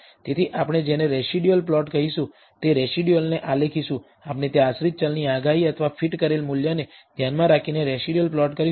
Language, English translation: Gujarati, So, we will plot the residual what we call a residual plots will we plot the residuals with respect to the predicted or fitted value of the dependent variable remember there is